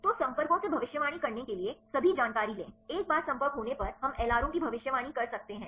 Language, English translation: Hindi, So, take all the information to predict the contacts once the contacts are known can we predict the LRO